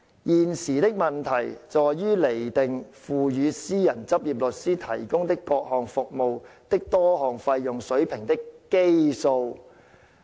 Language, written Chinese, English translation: Cantonese, 現時的問題在於釐定付予私人執業律師提供的各項服務的多項費用水平的基數"。, The issue at stake was the basis for deriving the level of various fees payable to private practitioners for the various services